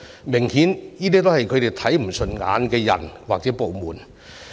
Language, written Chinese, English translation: Cantonese, 明顯地，這些是他們看不順眼的人或部門。, It goes without saying these are the people and departments they dislike